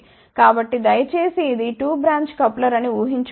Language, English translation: Telugu, So, please now imagine this is a 2 branch coupler